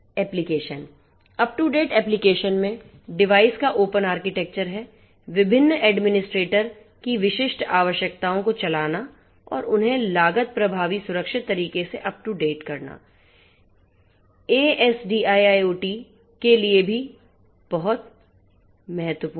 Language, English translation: Hindi, Applications up to date applications having open architecture of devices running different administrators specific requirements and up and making them up to date, in a cost effective secure manner is also very important for SDIIoT